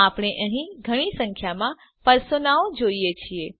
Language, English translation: Gujarati, We see a large number of personas here